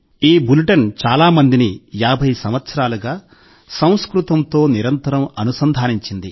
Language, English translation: Telugu, For 50 years, this bulletin has kept so many people connected to Sanskrit